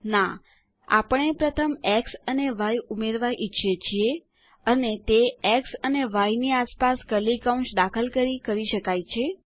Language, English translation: Gujarati, No, we want to add x and y first, and we can do this, by introducing curly brackets around x and y